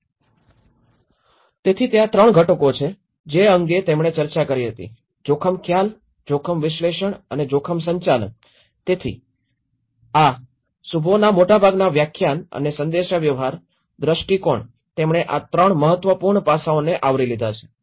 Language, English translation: Gujarati, So, then again there are 3 components, which he also discussed was risk perception, risk analysis and the risk management so this is what most of the Shubhos lecturer on risk and also the communication, the perception, he covered these 3 important aspects